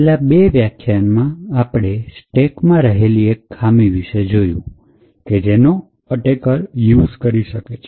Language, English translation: Gujarati, So, in the last two lectures we had actually looked at how one particular vulnerability in the stack can be exploited by the attacker